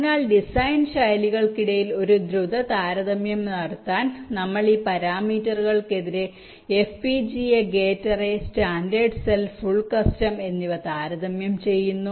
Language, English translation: Malayalam, so in order to make a quick comparison among the design styles, so we are comparing fpga, gate array, standard cell and full custom